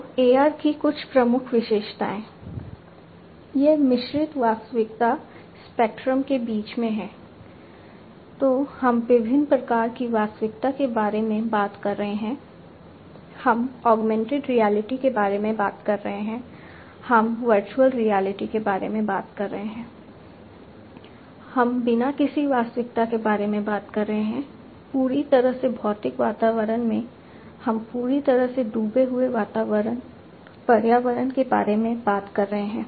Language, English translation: Hindi, So, we are talking about different types of reality; we are talking about augmented reality, we are talking about virtual reality, we are talking about you know no reality at all, completely physical environment, we are talking about completely immersed kind of environment